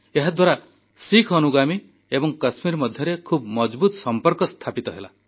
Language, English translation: Odia, This forged a strong bond between Sikh followers and Kashmir